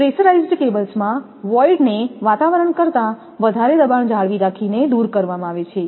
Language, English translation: Gujarati, In pressurized cables, voids are eliminated by maintaining a higher pressure than atmosphere